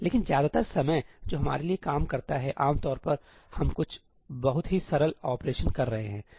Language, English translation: Hindi, But most of the time that does the job for us, typically we are doing some very simple operations